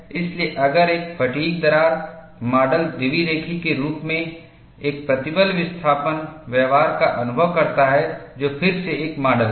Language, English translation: Hindi, So, if a fatigue cracked specimen experiences a stress displacement behavior as bilinear, which is the model again